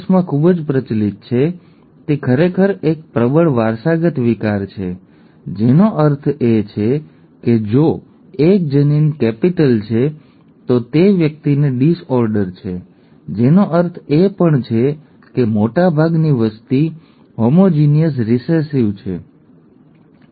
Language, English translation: Gujarati, And HuntingtonÕs disease which is so prevalent in the US is actually a dominantly inherited disorder which means if one allele is capital then the person has the disorder which also means that most of the population is homozygous recessive, okay